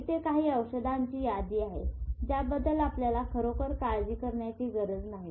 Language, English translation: Marathi, And here is the list of drugs which you don't have to really bother about it